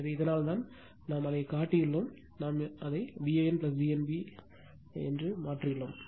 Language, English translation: Tamil, So, this here that is why here we have made it low, here we made it V a n plus V n b here